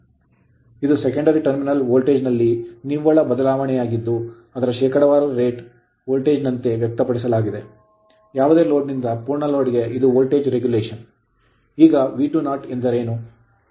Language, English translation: Kannada, So, it is the net change in the secondary terminal voltage from no load to full load expressed as a percentage of it is rated voltage so, this is my voltage regulation right